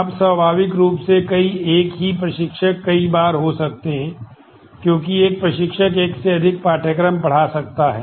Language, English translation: Hindi, Now, naturally there could be multiple the same instructor could happen multiple times, because an instructor may be teaching more than one course